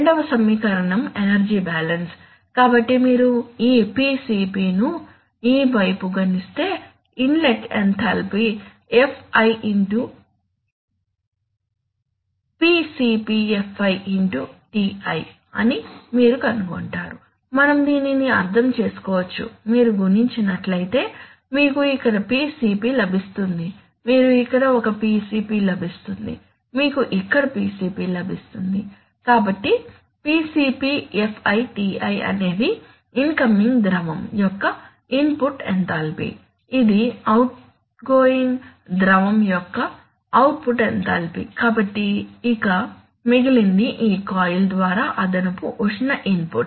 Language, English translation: Telugu, The second equation is the energy balance, so if you multiply this ρCp this side you will, you will find that the inlet enthalpy is Fi into, ρCpFi into Ti, we can understand this, that if you multiply you will get a ρCp here, you will get a ρCp here, you will get a ρCp here, so ρCpFiTi is the input enthalpy of the incoming fluid, this is the output enthalpy of the outgoing fluid, so whatever is remaining this is the additional heat input through this coil so this net, this is the net sum of the input minus output that will go towards increasing the temperature of the process that is very standard